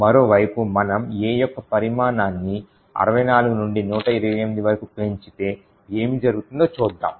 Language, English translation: Telugu, On the other hand, if we increase the size of A from say 64 to 128 let us see what would happen